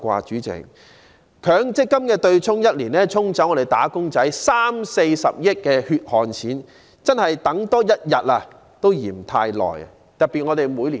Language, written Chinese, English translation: Cantonese, 主席，強積金對沖的安排1年已可"沖走"我們"打工仔 "30 億元至40億元的血汗錢，真的是多等1天也嫌太久。, President the MPF offsetting arrangement acts like a flush capable of washing away 3 billion to 4 billion of the hard - earned money of employees in one year and so it really is too long to wait for one more day